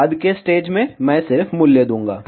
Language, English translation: Hindi, The later stage, I will just give the values